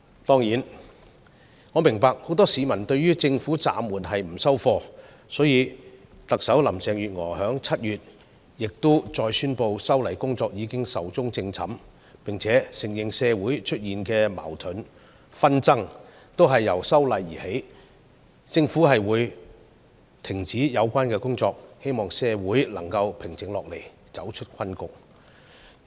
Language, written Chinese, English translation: Cantonese, 當然，我明白很多市民對政府暫緩修例的決定感到不滿，所以，特首林鄭月娥亦已在7月再次宣布修例工作已"壽終正寢"，並且承認社會出現的矛盾和紛爭均由修例而起，政府會停止有關工作，希望社會能平靜下來，走出困局。, Of course I understand that many citizens were dissatisfied with the governments decision to suspend the amendment . Therefore Chief Executive Carrie LAM also announced in July that the amendment exercise is dead . She also admitted that social contradiction and disputes had arisen from the amendment exercise and the government would stop the related work hoping that the community could calm down and get out of the predicament